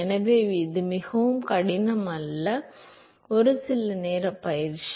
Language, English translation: Tamil, So, it is not very hard, it just a couple of minutes exercise